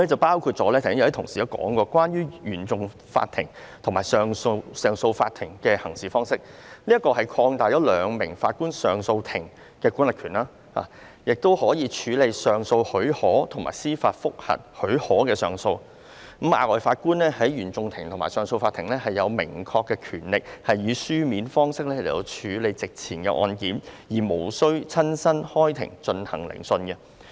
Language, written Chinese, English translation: Cantonese, 剛才已有同事提到，就是關於原訟法庭及上訴法庭的行事方式，即擴大兩名上訴法庭法官組成的上訴法庭的管轄權，使其亦可以處理上訴許可及司法覆核許可的上訴，而額外法官在原訟法庭或上訴法庭有明確權力以書面方式處理席前的案件，無須親身開庭進行聆訊。, As some colleagues have already mentioned it is about changing the way the Court of First Instance CFI and the Court of Appeal CA operate . More precisely it is about extending the jurisdiction of a two - Judge bench of CA so that a two - Judge CA can also determine applications for leave to appeal and applications for a judicial review . And also an additional judge in CFI or CA has the power to dispose of cases on paper without physically sitting in court